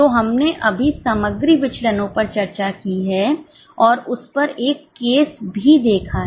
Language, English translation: Hindi, So, we have just discussed material variances and also done one case on it